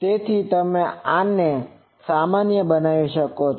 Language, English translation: Gujarati, So, you can put this normalize